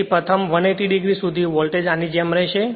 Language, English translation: Gujarati, So, up to your first 180 degree the voltage will be like this